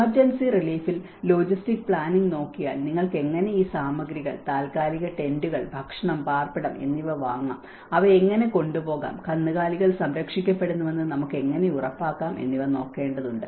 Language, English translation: Malayalam, In the emergency relief, one has to look at the logistic planning, how you can procure these materials, the temporary tents, the food, the shelter and how we can transport them, how we can make sure that the livestock is protected you know, so all these aspects, relief shelters and sheltering materials